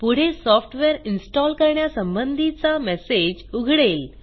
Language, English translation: Marathi, Next a Software Installation confirmation message appears